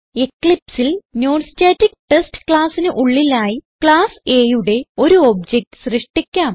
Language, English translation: Malayalam, Inside class NonStaticTest in Eclipse let us create an object of the class A